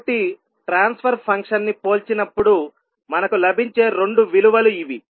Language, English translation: Telugu, So these are the two values which we will get when we compare the transfer function